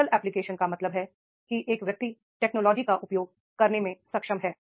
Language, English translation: Hindi, Technical application means that is a person is able to make the use of the technology